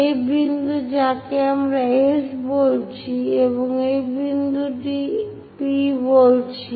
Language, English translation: Bengali, This point what we are calling S and this point as P